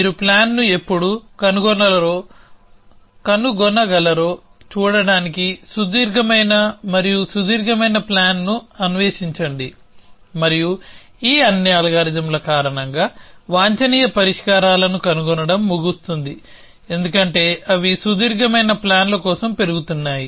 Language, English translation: Telugu, Keep exploring longer and longer plans to see when you can find the plan and because of that all these algorithms, end of finding the optimum solutions as well because they incrementally search for longer plans